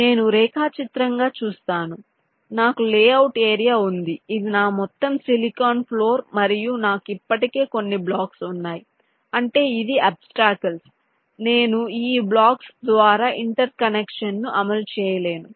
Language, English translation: Telugu, say i have a layout area this is my total silicon floor and i have already some blocks, which is which have place, which means this are obstacles